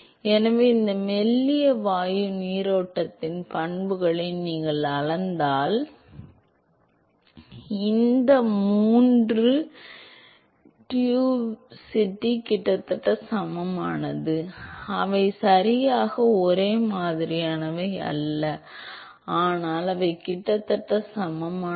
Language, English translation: Tamil, So, if you measure the properties of this thin gas stream it turns out that these three diffusivity is a almost equal they are not exactly the same, but they are almost equal